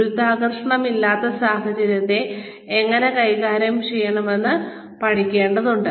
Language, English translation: Malayalam, They need to learn, how to deal with, no gravity situations